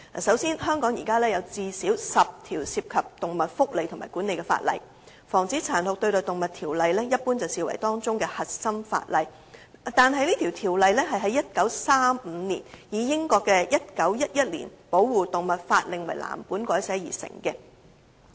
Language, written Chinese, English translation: Cantonese, 首先，香港現時有最少10項涉及動物福利和管理的法例，而《防止殘酷對待動物條例》一般被視為當中的核心法例，但該條例是在1935年以英國的《1911年保護動物法令》為藍本改寫而成的。, First of all there are at least 10 ordinances touching upon animal protection and management in Hong Kong and the Prevention of Cruelty to Animals Ordinance is generally regarded as the centre - piece legislation . However the Ordinance modelled on the Protection of Animals Act 1911 of the United Kingdom was enacted in 1935